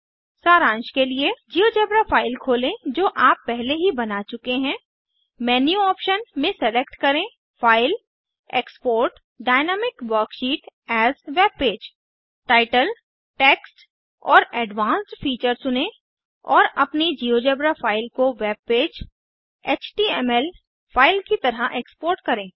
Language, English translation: Hindi, To Summarise, Open a GeoGebra file that you have already created , select Menu option File Export Dynamic Worksheet as webpage Choose the Title, Text and Advanced features and Export your GeoGebra file as a webpage, html file View the html file using a web browser